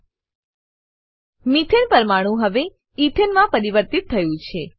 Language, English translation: Gujarati, Methane molecule is now converted to Ethane